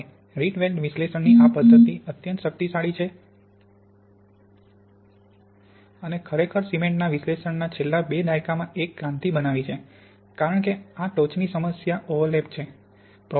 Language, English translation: Gujarati, Now this method of the Rietveld analysis is extremely powerful and really has made a revolution in the past two decades in the analysis of cements because of this problem of peak overlap